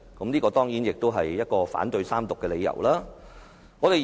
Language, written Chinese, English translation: Cantonese, 這當然也是反對三讀的理由之一。, This is certainly one of the reasons why I oppose the Third Reading of the Bill